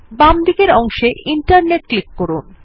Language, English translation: Bengali, On the left pane, select Internet